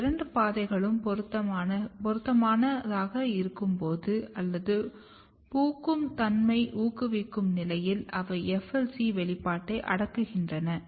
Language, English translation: Tamil, These two pathways basically when they are suitable or when they are promoting the flowering when they are in the condition to promote the flowering what they does they repress the FLC expression